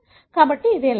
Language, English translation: Telugu, So that is the ultimate goal